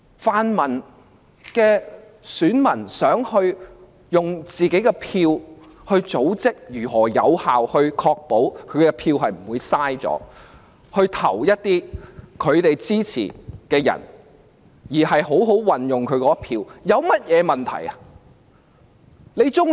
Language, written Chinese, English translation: Cantonese, 泛民的選民想透過組織選票有效確保選票不會浪費，好好地把選票投給他們支持的人，我想問有甚麼問題？, Electors in the pan - democratic camp wish to effectively ensure no wastage of votes by coordinating votes so that votes are given to the ones they support in a sensible way . I wonder what is wrong with that